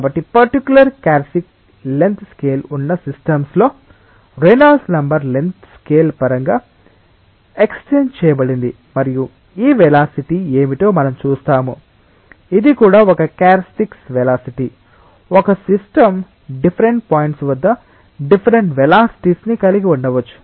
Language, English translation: Telugu, So, in a system with particular characteristic length scale, the Reynolds number expressed in terms of the length scale and we will see what is this velocity, this is also a characteristic velocity a system may have different velocity at different points